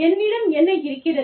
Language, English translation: Tamil, What do i have